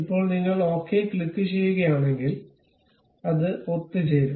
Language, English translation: Malayalam, Now, if you click ok, it will be assembled